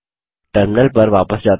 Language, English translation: Hindi, Let us switch back to the terminal